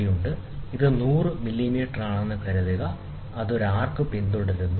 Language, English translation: Malayalam, So, assume that, this one is 100 millimeter, ok, and it follows an arc, ok